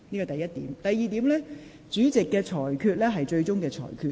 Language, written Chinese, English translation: Cantonese, 第二，主席所作的裁決為最終決定。, Second the ruling of the President shall be final